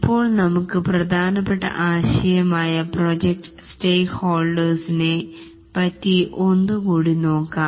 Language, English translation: Malayalam, Now let us look at a important concept again which is about project stakeholders